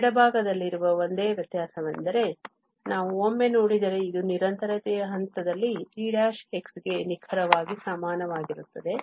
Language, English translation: Kannada, The only difference in the left hand side, if we take a look, this is exactly equal to g prime x at the point of continuity